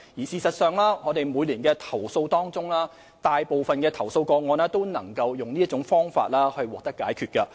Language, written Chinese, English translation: Cantonese, 事實上，在每年的投訴中，大部分投訴個案亦能以這種方法獲得解決。, As a matter of fact most of the complaints received every year can be resolved by this means